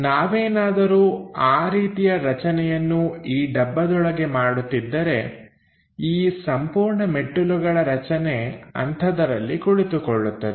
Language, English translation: Kannada, So, if we are making something like that within that box this entire staircase construction is fixed